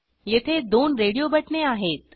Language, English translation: Marathi, Here we have two radio buttons